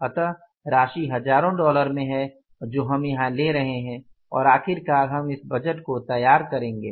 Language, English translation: Hindi, So, amount in thousands of dollars we will be taking here and finally we will be preparing this budget